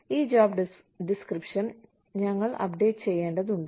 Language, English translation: Malayalam, And, we need to keep these job descriptions, updated